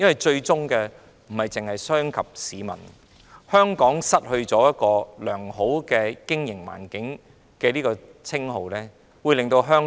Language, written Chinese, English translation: Cantonese, 最終不單傷及市民，也會令香港失去良好的經營環境，令香港在自由經濟體系中失色。, In the end not only will members of the public be adversely affected but Hong Kong will also be deprived of a good business environment and Hong Kong will pale into insignificance in the free economic system